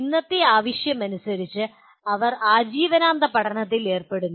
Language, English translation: Malayalam, And as present day requires they are involved in lifelong learning